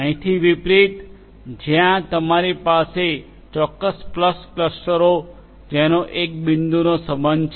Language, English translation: Gujarati, Unlike over here where you have definite you know distinct clusters to which one point is going to belong to